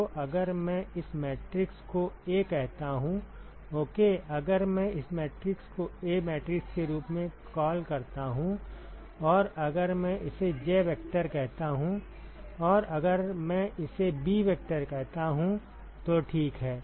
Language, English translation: Hindi, So, let us just quickly so if I call this matrix as A ok, if I call this matrix as A matrix and if I call this as J vector, and if I call this as b vector ok